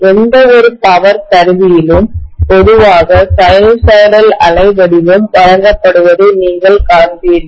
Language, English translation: Tamil, Invariably in any power apparatus, you would see normally sinusoidal waveform being given